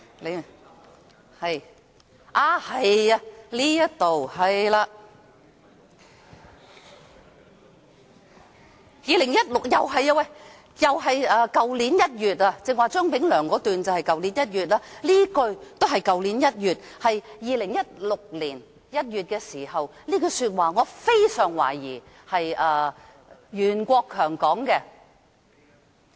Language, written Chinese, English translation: Cantonese, 是這個了，又是2016年，剛才提到張炳良的那番說話是在去年1月說的，這一句也是在2016年1月說的，我非常懷疑是袁國強說的......, It was again 2016 . Those remarks of Anthony CHEUNG that I mentioned earlier were made in January last year whereas this remark was made in January 2016 and I very much suspect that it was made by Rimsky YUEN Some people are going away right?